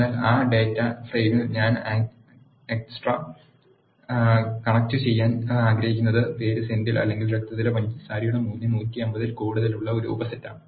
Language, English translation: Malayalam, But in that data frame what I want to extract is a subset where the name has to be Senthil or the blood sugar value has to be greater than 150